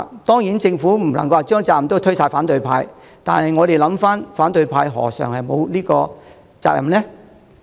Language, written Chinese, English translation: Cantonese, 當然，政府不能將全部責任都推給反對派，但請想一想，反對派又何嘗沒有責任呢？, Certainly the Government should not shift all the blame onto the opposition camp . But if you think again dont you think the opposition camp also has a share of the blame?